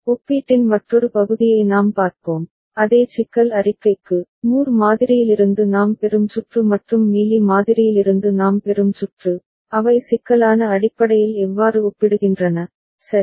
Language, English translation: Tamil, And we shall look into another part of the comparison that for the same problem statement, the circuit that we get from Moore model and the circuit we get from Mealy model, how do they compare in terms of complexity, ok